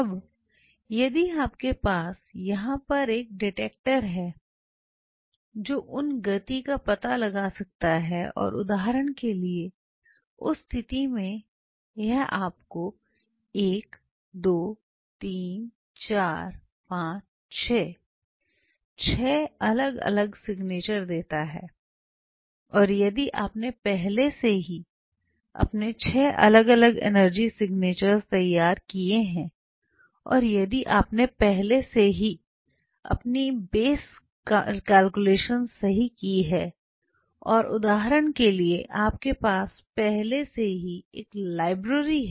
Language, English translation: Hindi, Now, if you have a detector sitting here which could detect those speeds and it will be giving you say for example, in that case 1 2 3 4 5 6, 6 different signatures and if you have already done your 6 different energy signature and if you have already done your base calculations right say for example, you already have a library how you create the library